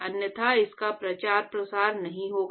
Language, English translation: Hindi, Otherwise it is not going to propagate